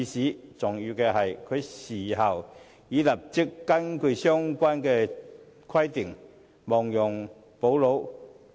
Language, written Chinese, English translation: Cantonese, 更重要的是，她事後已立即根據相關規定，亡羊補牢。, More importantly she took immediate remedial action pursuant to relevant rules following the revelation of the incident